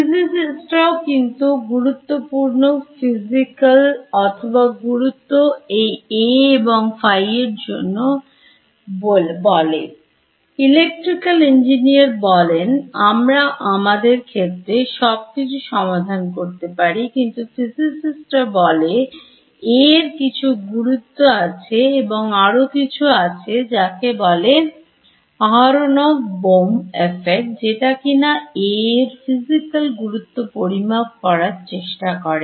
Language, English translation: Bengali, Physicists; however, attribute some physical importance or significance to this A and phi, electrical engineers say all we can measure of our fields physicists say that no there is some significance to A and there is something call the aronov Bohm effect which tries to measure or give a physical significance to A and they say that in some highly specific quantum regime there is some physical meaning for A